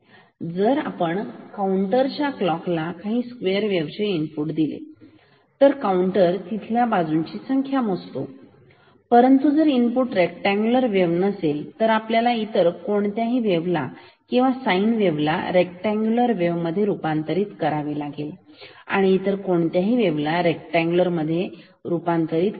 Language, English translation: Marathi, If we give some square wave input to the clock of a counter and the counter counts the number of edges and but if the input signal is not rectangular then we have to convert the rectangular say the sine wave or any other wave into rectangular wave